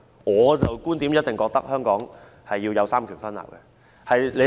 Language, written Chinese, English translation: Cantonese, 我的觀點認為香港必須有三權分立。, In my view it is a must to have the separation of powers in Hong Kong